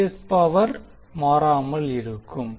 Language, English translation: Tamil, The three phased power will remain constant